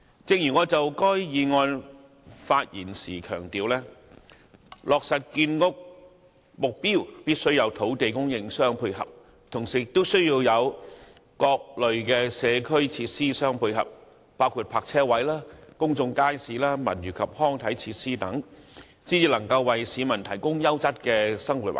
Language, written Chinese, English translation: Cantonese, 正如我發言時強調，落實建屋目標，必須有土地供應互相配合，以及各類社區設施作配套，包括泊車位、公眾街市、文娛及康體設施等，才能為市民提供優質的生活環境。, As I highlighted in my speech the housing supply target can only be materialized with adequate land supply as well as the provision of ancillary community facilities including parking spaces public markets cultural and leisure facilities so as to bring a quality living environment for the public